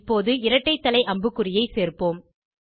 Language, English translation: Tamil, Now lets add a double headed arrow